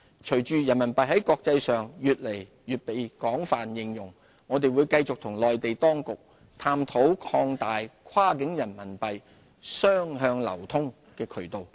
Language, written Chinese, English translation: Cantonese, 隨着人民幣在國際上越來越被廣泛應用，我們會繼續與內地當局探討擴大跨境人民幣雙向流通的渠道。, With the wider use of RMB in the international arena we will continue to explore with the Mainland authorities ways to open up more channels for two - way cross - border RMB fund flows